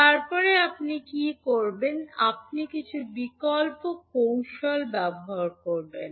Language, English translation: Bengali, Then what you will do, you will use some alternate technique